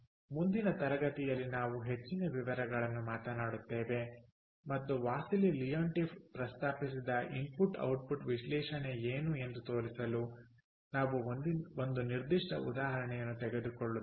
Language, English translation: Kannada, in the next class, we will talk in more details and we will take up a specific example to show what is the input output analysis that was proposed by wassily leontief